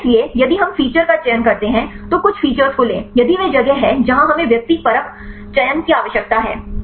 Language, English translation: Hindi, So, if we choose the feature right take some of the features, this is where we need the subjective selection right